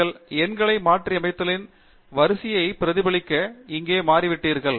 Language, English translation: Tamil, And you would see that the numbers have changed here to reflect the sequence of referencing